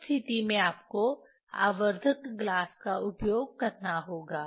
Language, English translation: Hindi, In that case you have to use magnifying glass